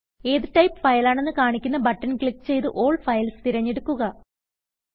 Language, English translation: Malayalam, Click the Select which types of files are shown button and select All Files